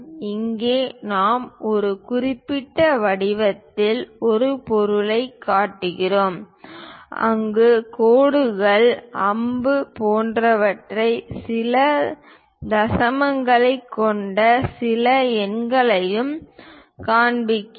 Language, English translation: Tamil, Here we are showing an object of particular shape, there we are showing something like lines and arrow and some numerals with certain decimals